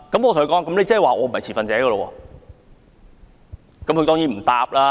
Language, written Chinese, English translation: Cantonese, 我問他："我不是持份者嗎？, I asked him Am I not a stakeholder?